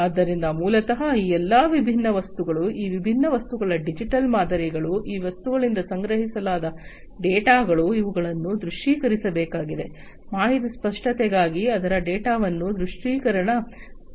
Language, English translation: Kannada, So, basically you know all these different objects, the digital models of these different objects, the data that are procured from these objects, these will have to be visualize, the data visualization aspect of it for information clarity